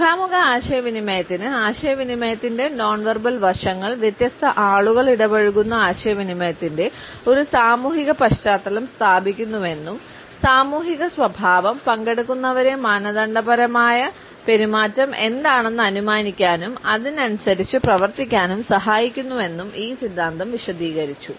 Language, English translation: Malayalam, They suggest that in face to face communication, nonverbal aspects of communication establish is social context of interaction within which different people interact and the social context helps the participants to infer what should be the normative behaviour and perform accordingly